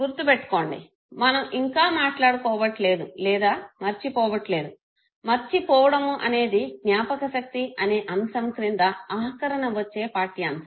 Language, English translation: Telugu, Remember we are still not talking or forgetting, forgetting will be our last lecture with respect to this very topic on memory